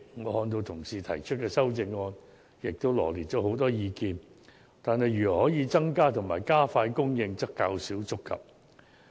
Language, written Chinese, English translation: Cantonese, 我看到同事提出的修正案，羅列了很多意見，但對於如何能夠增加和加快供應，則較少觸及。, I notice that the amendments proposed by colleagues have put forth many proposals but there is little mention of how we can increase and speed up housing production